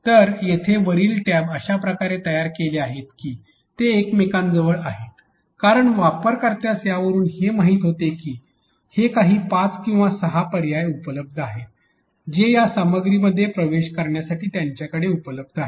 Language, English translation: Marathi, So, these tabs here on the top are chunked in a way that because there are they are really nearer to each other the user knows that these are the whatever five or six options available to them in order to access this contents